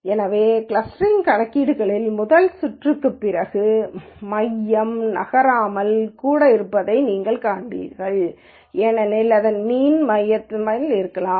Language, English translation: Tamil, So, after the first round of the clustering calculations, you will see that the center might not even move because the mean of this and this might be some where in the center